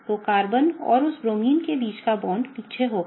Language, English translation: Hindi, So, the bond between Carbon and that Bromine will be at the back